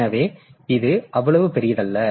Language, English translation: Tamil, So, this is not that large